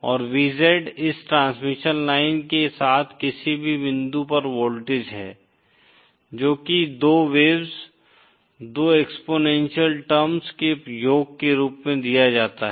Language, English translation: Hindi, And VZ that is the voltage at any point along this transmission line is given as the sum of 2 waves, 2 exponential terms